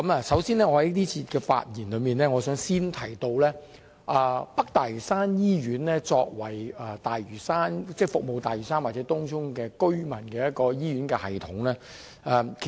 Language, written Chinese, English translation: Cantonese, 首先，在這節發言中，我想先說一說北大嶼山醫院這個作為服務大嶼山或東涌居民的醫療系統。, First of all in this speech I would like to talk about the health care system of North Lantau Hospital which serves the residents of Lantau Island or Tung Chung